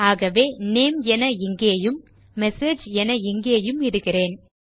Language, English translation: Tamil, So let me just put Name: in here and Message: in here